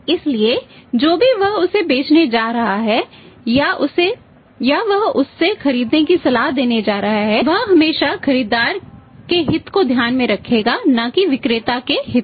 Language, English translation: Hindi, So, whatever he is going to sell to him or he is going to advise to buy from him that he would always keep in mind the buyer's interest not the seller interest